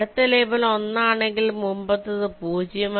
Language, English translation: Malayalam, if the next label is one, the previous label will be zero